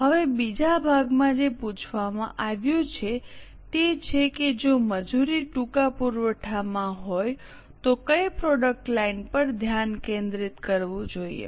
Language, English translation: Gujarati, Now in the second part what has been asked is which product line should be focused if labor is in short supply